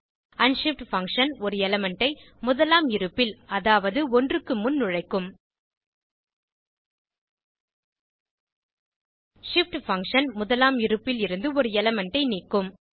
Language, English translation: Tamil, unshift function will insert an element at the first position i.e before 1 shift function will remove an element from the first position